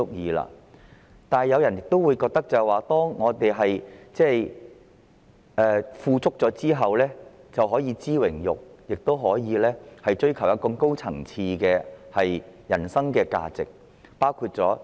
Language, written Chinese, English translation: Cantonese, 不過，亦有人認為，在生活富足後，便應該知榮辱，以及追求更高層次的人生價值。, In contrast some people think that after becoming better off in life they should move on to pursue dignity and higher values in life including freedom